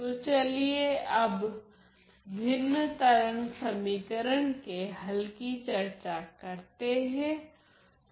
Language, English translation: Hindi, So, let us now discuss the solution to the fractional wave equation